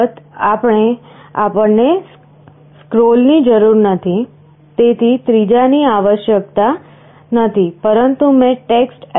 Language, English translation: Gujarati, Of course, we do not need scroll, so the third one is not required, but I have also used TextLCDScroll